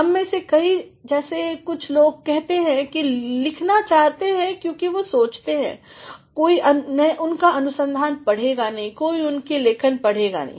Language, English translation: Hindi, Many of us as many people say do not want to write, because the thing that nobody will read their research, nobody will read their writing